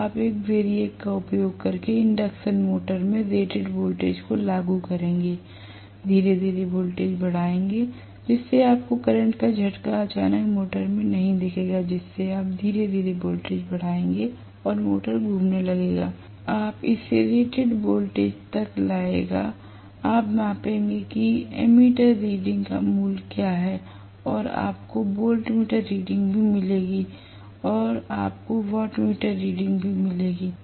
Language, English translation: Hindi, So, you will apply rated voltage to the induction motor by using a variac, slowly increase the voltage so you will not see a jerk of current suddenly flowing into the motor, so you will slowly increase the voltage and the motor will start rotating, you will bring it up to the rated voltage you will measure what is the value of ammeter reading, and you will also get the voltmeter reading and you will also get the wattmeter readings